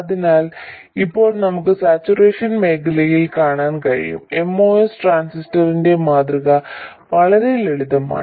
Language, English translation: Malayalam, So, now we can see in saturation region the model of the MOS transistor is very simple